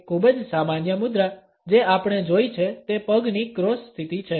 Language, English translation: Gujarati, A very common posture which we come across is that of a crossed leg situation